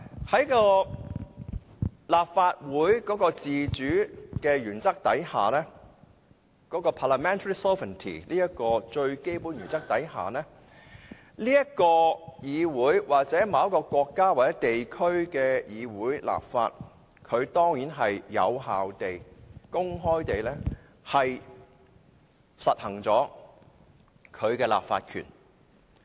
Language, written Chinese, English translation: Cantonese, 在立法會的自主原則下，即 parliamentary sovereignty 這個最基本的原則下，這個議會或某國家或地區的議會進行立法，當然是有效地和公開地行使其立法權。, Under the most basic principle of parliamentary sovereignty the Legislative Council or the parliamentary assembly of a country or region will definitely exercise their legislative power in an effective and open manner in lawmaking